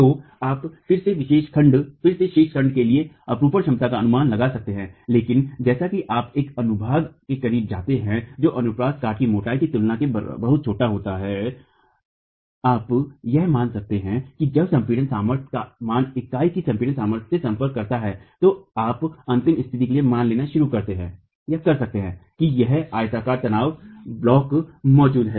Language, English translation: Hindi, So you can then estimate the moment capacities for the remaining section but as you go close to a section which is very small in comparison to thickness of the cross section you can assume that the when the value of the compressor stress approaches the compressor strength of masonry, you can start assuming for the ultimate condition that a rectangular stress block is present and that is what is going to give you the moment capacity in the wall and the axle load capacity